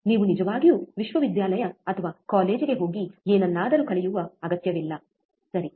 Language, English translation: Kannada, You do not really required to go to the university go to the or college and learn something, right